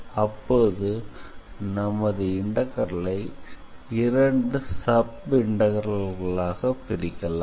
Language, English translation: Tamil, So, you basically have to divide your integral into 2 sub integrals